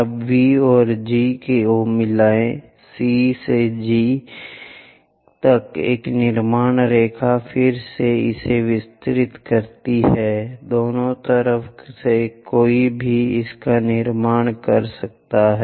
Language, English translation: Hindi, Now, join V and G, a construction line again from C all the way to G extend it, on both sides one can construct it